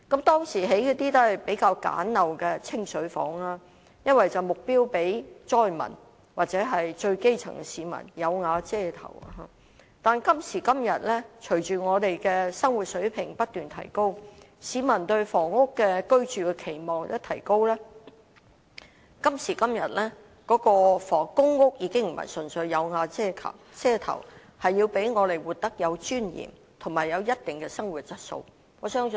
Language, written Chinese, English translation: Cantonese, 當時興建的公屋是比較簡陋的"清水房"，因為目標是讓災民或最基層的市民有瓦遮頭；但今時今日，隨着我們的生活水平不斷提高，市民對居住房屋的期望相應提高，公屋已不是純粹為了讓市民有瓦遮頭，而是要讓市民活得有尊嚴及有一定的生活質素。, The public housing units developed at the time were the more rudimentary type of plain flats because the objective was to provide the fire victims or the grass - roots people with a roof over their heads . But nowadays as our living standard continues to improve the public expectation for housing has become higher accordingly . Public housing is provided not purely for the people to have a roof over their heads but for the people to live with dignity and a certain degree of quality